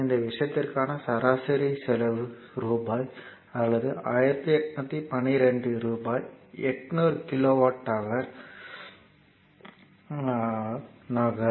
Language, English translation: Tamil, So, average cost per this thing will be rupee or rupees 1812 divided by 800 kilowatt hour